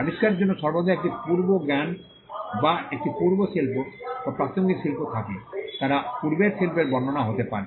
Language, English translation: Bengali, There is always a prior knowledge or a prior art or a relevant art for the invention, they could be description of prior art